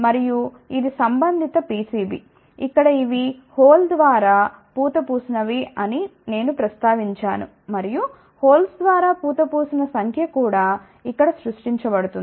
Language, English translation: Telugu, And, this is the corresponding PCB, where I had mention that these are the plated through hole, and number of plated through holes are created here also